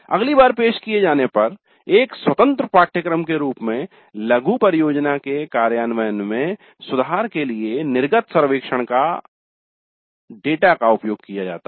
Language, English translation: Hindi, Exit survey data is used to improve the implementation of the mini project as an independent course next day it is offered